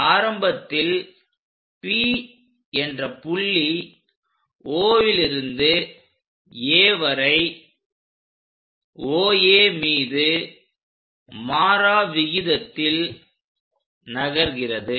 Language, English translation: Tamil, A point P initially at O moves along OA at a uniform rate and reaches A